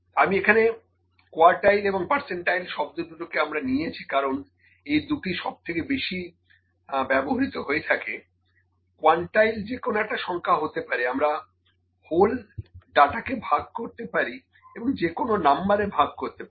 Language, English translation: Bengali, I just picked the quartile and percentile because, these are the most used otherwise, quantiles can be any number, we can divide the whole data, the whole data into any number